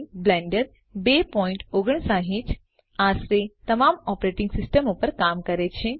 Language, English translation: Gujarati, Blender 2.59 works on nearly all operating systems